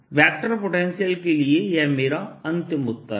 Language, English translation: Hindi, this is my final answer for the vector potential